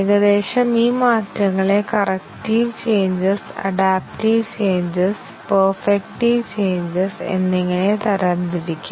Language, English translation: Malayalam, Roughly, these changes can be classified into corrective changes, adaptive changes and perfective changes